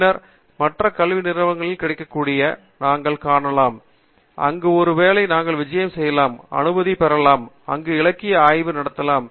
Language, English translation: Tamil, And then, we also can see what is available in other institutes, where we could perhaps go visit, take permission, and do the literature survey there